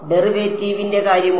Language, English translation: Malayalam, What about derivative